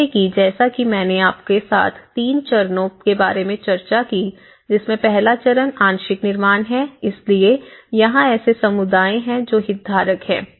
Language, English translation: Hindi, So, as I discussed with you about 3 stages stage one which is a partial construction so here, the communities who are these stakeholders